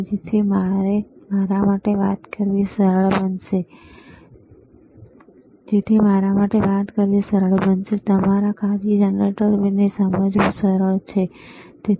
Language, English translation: Gujarati, So, it is easy for me to talk, and easy for you to understand the function generator, all right